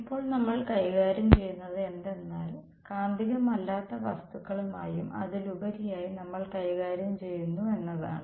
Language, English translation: Malayalam, Now what we will deal with is we are dealing with non magnetic materials and moreover